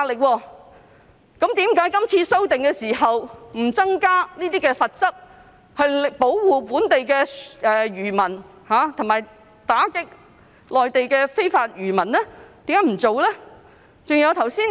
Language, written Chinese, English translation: Cantonese, 為何這次修訂不增加罰則，保護本地漁民，以及打擊內地漁民來港非法捕魚呢？, Why did this amendment exercise not increase the penalty protect local fishermen and combat illegal fishing by Mainland fishermen in Hong Kong?